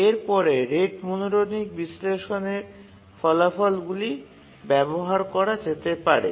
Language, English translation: Bengali, And then we can use the rate monotonic analysis results